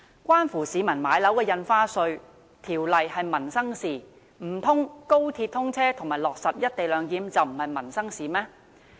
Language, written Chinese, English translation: Cantonese, 關乎市民買樓的《印花稅條例》是民生事項，難道高鐵通車和落實"一地兩檢"便不是民生事項嗎？, While the Stamp Duty Ordinance that concerns peoples home purchase is a livelihood issue; can we say that the commissioning of XRL and the implementation of the co - location arrangement are not related to livelihood?